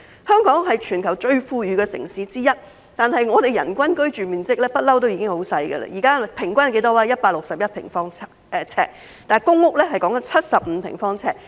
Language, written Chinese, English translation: Cantonese, 香港是全球最富裕的城市之一，但我們的人均居住面積一向很小，現在的人均居住面積是161平方呎，而公屋的人均居住面積則是75平方呎。, Hong Kong is one of the most affluent cities in the world but our per capita residential floor space has always been very small with the current per capita residential floor space being 161 sq ft and the per capita residential floor space for public housing being 75 sq ft